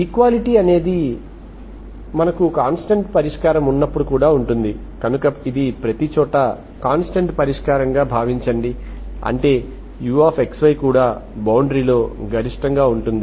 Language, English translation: Telugu, So that means equality can be there because when it is a constant solution, so it is, suppose it is a constant everywhere, that means it is also maximum value is also on the boundary